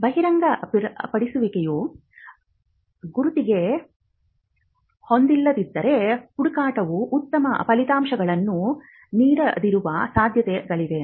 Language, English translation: Kannada, If the disclosure is not up to the mark, there are chances that the search will not yield the best results